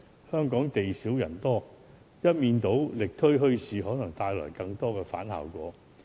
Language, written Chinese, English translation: Cantonese, 香港地小人多，一面倒力推墟市，可能帶來反效果。, Hong Kong is a small place crowded with people . If bazaars are strenuously promoted in a one - sided manner it may bring negative results